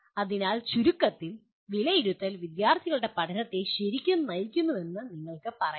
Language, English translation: Malayalam, So in summary you can say assessment really drives student learning